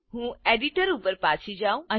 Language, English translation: Gujarati, Let me go back to the editor